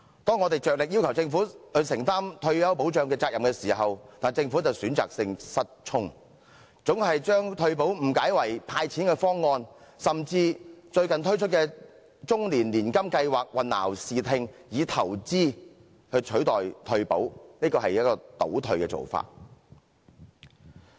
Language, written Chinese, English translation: Cantonese, 當我們竭力要求政府承擔退休保障責任時，但政府卻選擇性失聰，總把退休保障誤解為"派錢"的方案，甚至以最近推出的終身年金計劃混淆視聽，以投資取代退休保障，這是倒退的做法。, What else can we expect from this Government which shrugs off commitment? . While we spare no efforts in urging the Government to take up its responsibilities over retirement protection it chooses to turn a deaf ear to our call and is always under the delusion that retirement protection is a cash - handout solution . Recently in a move intended to confuse the public it even puts forth a life annuity scheme and tries to substitute retirement protection with investment